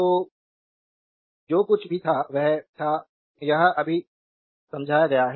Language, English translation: Hindi, So, whatever was whatever was there; that has been just now that has been explained